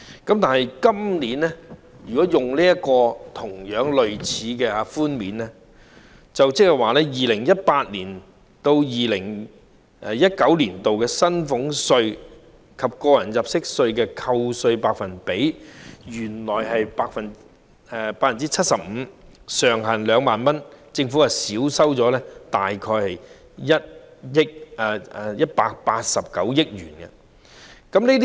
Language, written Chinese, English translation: Cantonese, 相對於今年，稅務寬免措施類似，原本是扣減 2018-2019 課稅年度的薪俸稅、個人入息課稅及利得稅的 75%， 上限為2萬元，政府因此會少收大概189億元稅款。, This year we have a similar tax concessionary measure . The original version was a reduction of 75 % of salaries tax tax under personal assessment and profits tax for the year of assessment 2018 - 2019 with a ceiling of 20,000 per case as a result the Government will forgo approximately 18.9 billion in tax revenue